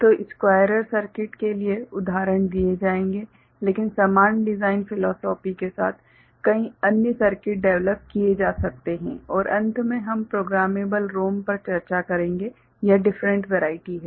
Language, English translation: Hindi, So, examples will be given for squarer circuit, but one can develop many other circuits following the same design philosophy and at the end we shall discuss programmable ROM, it is different verities